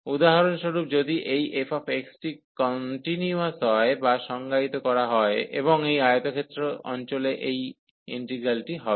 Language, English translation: Bengali, So, for example, if this f x, y is continuous or defined and bounded in that case also this integral will exist on this rectangular region